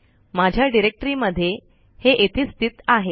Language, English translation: Marathi, In my directory it is located at this place